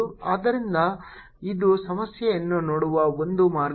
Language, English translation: Kannada, so this is one way of looking at the problem